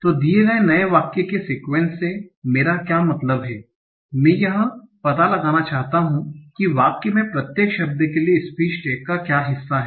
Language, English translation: Hindi, Given new sentence, I want to find out what are the part of speech tax for each of the word in the sentences